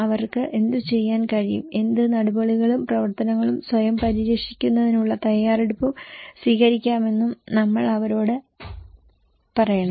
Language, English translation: Malayalam, We should also tell them that what they can do, what measures, actions, preparedness they can take to protect themselves